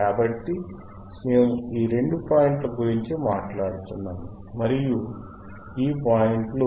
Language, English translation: Telugu, So, we are talking about these 2 points, this and theseis points